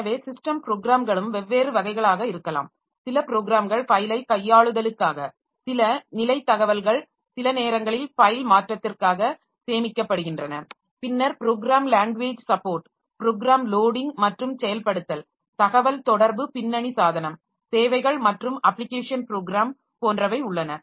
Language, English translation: Tamil, There are some programs for file manipulation, some for status information and sometimes stored in a file modification, then programming language support, program loading and execution, communication, background device services and application program